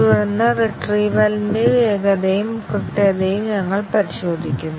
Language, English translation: Malayalam, And then, we check the speed and accuracy of retrieval